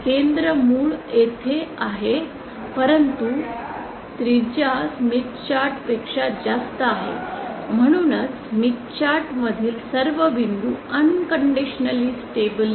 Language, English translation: Marathi, The center is at the origin however its radius is greater than that of smith chart therefore it is also all points inside the smith chart are unconditionally stable